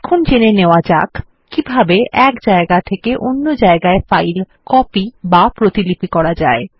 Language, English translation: Bengali, Let us see how to copy a file from one place to another